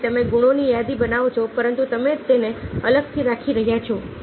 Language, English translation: Gujarati, so you make a list those quality it is, but you are keeping it separately: logical and positive